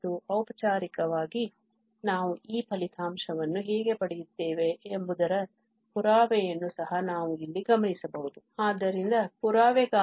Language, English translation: Kannada, And formally we can also observe the proof here, how this result we obtain